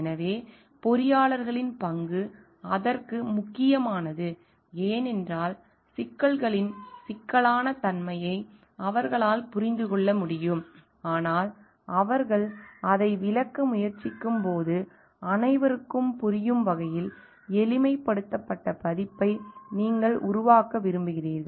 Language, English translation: Tamil, So, the role of the engineers becomes important for that, because they can understand the complexity of the issues, but while try to explain they need to like make it more a simplified version so that everybody can understand it